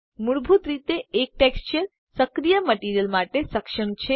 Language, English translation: Gujarati, By default, one texture is enabled for the active material